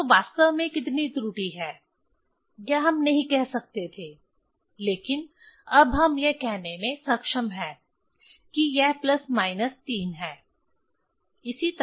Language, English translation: Hindi, So, exact what amount of error that we are not able to say but now we are able to say it is plus minus 3